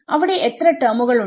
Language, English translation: Malayalam, These are how many terms